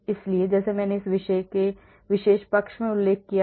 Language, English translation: Hindi, So, like I mentioned in the in this particular side, so they are >0